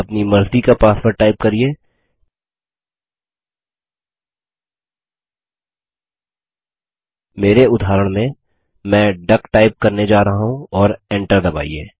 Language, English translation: Hindi, Type the password of your choice, in my case im going to type duck as the password and press Enter